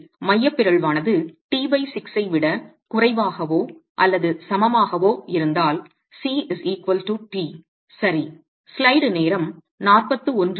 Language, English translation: Tamil, So if the eccentricity is less than or equal to t by six, then C is equal to t is equal to t